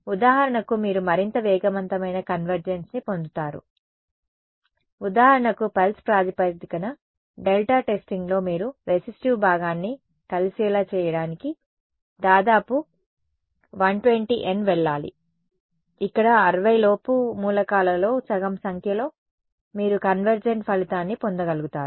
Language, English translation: Telugu, You will get even faster convergence for example, in the pulse basis delta testing you have to go nearly 120 N in order to get the resistive part to match to converge, here within half the number of elements within 60 you are able to get convergent result may be even less than that right